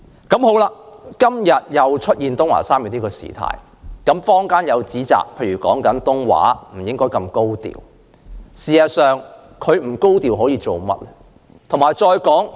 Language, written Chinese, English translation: Cantonese, 今天發生東華三院李東海小學事件後，坊間指責該校不應太高調處理，但該校可以做甚麼？, After the TWGHs Leo Tung - hai LEE Primary School incident there are accusations that the school should not handle the incident in an excessively high - profile manner . But what else can the school do?